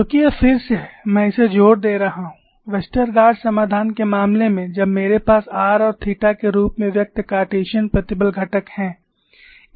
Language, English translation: Hindi, Because this is again, I have been emphasizing it, in the case of Westergaard solution when I have Cartesian stress component, express in terms of r n theta